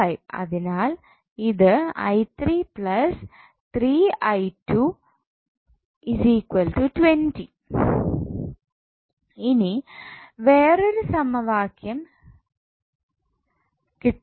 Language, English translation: Malayalam, So, from where we will get the second equation